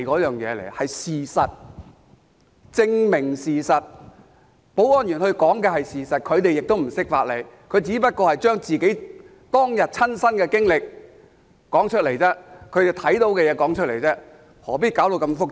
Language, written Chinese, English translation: Cantonese, 提供證據是為了證明事實，保安員說的是事實，他們亦不懂法理，只是說出當日的親身經歷，將看到的事說出來，何必說到這麼複雜？, Giving evidence seeks to prove the fact . The security staff would tell the truth . As they know nothing about jurisprudence they would only talk about their personal experience on that day and state what they observed